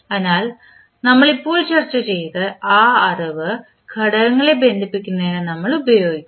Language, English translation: Malayalam, So, this knowledge we just discussed, we will utilized in connecting the components